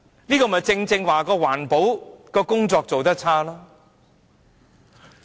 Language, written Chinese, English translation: Cantonese, 這正是環保工作做得差。, It is precisely because of the poor environmental protection work